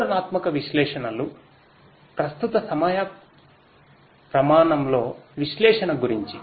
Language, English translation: Telugu, Descriptive analytics is about analysis in the current time scale